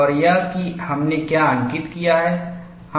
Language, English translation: Hindi, And what is that we have recorded